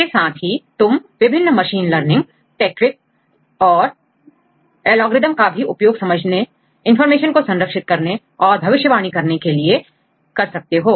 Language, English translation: Hindi, Also you can use different machine learning techniques and the algorithms, to understand and to capture the information as well as for the prediction purposes